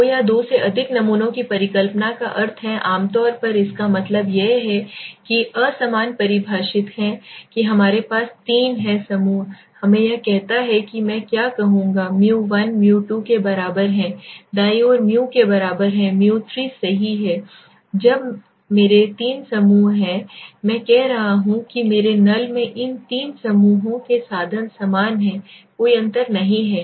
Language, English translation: Hindi, Means two or more samples hypothesis is typically that means unequal define we have three in a group let us say so what will I say mu 1 is equal to mu 2 right is equal to is mu 3 right so when I am having three groups I am saying the means of all this three groups in my null is same there is no difference right